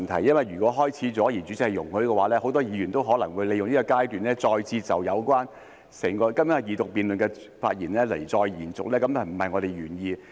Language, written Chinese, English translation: Cantonese, 因為如果開始了，而代理主席容許的話，很多議員也可能會利用這個階段，再次延續今天二讀辯論時的發言，這便不是我們的原意。, For if the Deputy Chairman allows this many Members may continue at this stage with their speeches made during the Second Reading debate today which is not the original intent